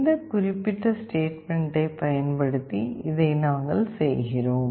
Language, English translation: Tamil, This is what we are doing using this particular statement